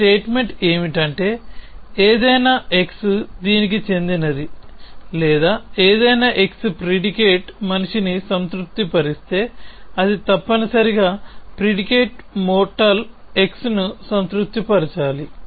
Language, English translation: Telugu, What this statement is saying that, if any x belongs to this or any x satisfies the predicate man, it must satisfy the predicate mortal x essentially